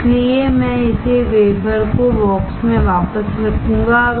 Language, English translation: Hindi, So, I will put this wafer back into the box